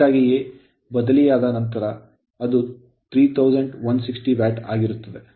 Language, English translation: Kannada, So, that is why it is coming your what you call 3160 watt right